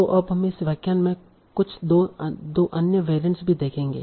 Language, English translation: Hindi, So we will now see in this lecture we will also see some two other variants